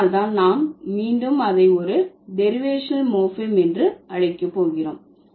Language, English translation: Tamil, That's the reason why we are going to call it again a derivational morphem, right